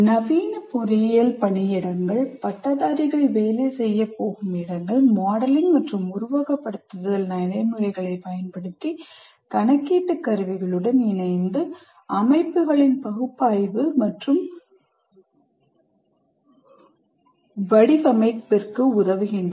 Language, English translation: Tamil, Modern engineering workplaces, that means whatever industry that graduate is going to work in, whatever organization that is works in, they commonly use modeling and simulation practices, many of them, coupled with computational tools to aid the analysis and design of systems